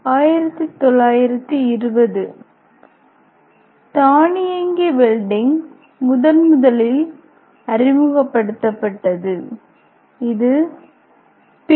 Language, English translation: Tamil, In 1920 automatic welding was first introduce which was invented by P